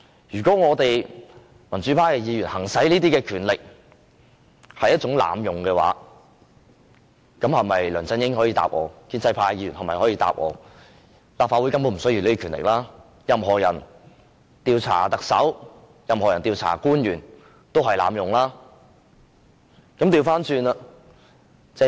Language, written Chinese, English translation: Cantonese, 如果民主派的議員行使這些權力也屬濫用的話，梁振英及建制派的議員可否回答我，立法會是否根本不需要這種權力，因為任何人調查特首或官員都是濫用權力？, If the exercise of this power by the pro - democracy Members is regarded as an abuse of power can LEUNG Chun - ying and the pro - establishment Members tell me whether the Legislative Council no longer needs this power because anyone who tries to investigate LEUNG Chun - ying or other public officials will be accused of abusing power?